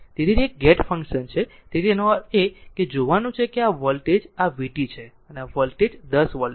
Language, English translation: Gujarati, So, it is a gate function so at; that means, you have to see that this voltage this is v t and this voltage is 10 volt right